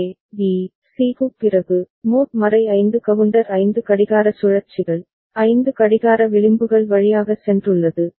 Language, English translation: Tamil, After the A, B, C, the mod 5 counter has gone through 5 clock cycles right, 5 clock edges